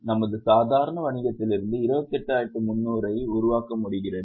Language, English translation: Tamil, We are able to generate 28,300 from our normal business